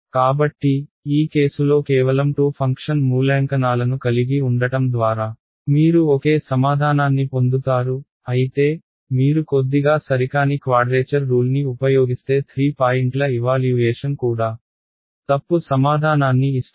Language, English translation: Telugu, So, this just shows you that you can get the same answer by having only 2 function evaluations in this case whereas, if you use a slightly inaccurate quadrature rule even a 3 point evaluation gives you the wrong answer ok